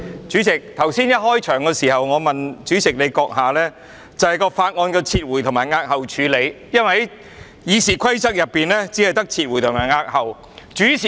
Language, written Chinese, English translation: Cantonese, 主席，在會議開始時，我曾詢問主席閣下有關法案的撤回和押後處理，因為《議事規則》只訂明撤回和押後的選項。, President in the beginning of the meeting I asked you about the handling of the withdrawal and postponement of bills for under the Rules of Procedure merely the options of withdrawal and postponement are available . John LEE is the officer in charge of the Bill